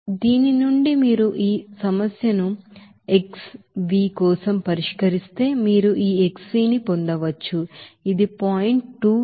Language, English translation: Telugu, So from this if you solve this problem for x v you can get this xv will be equal to 0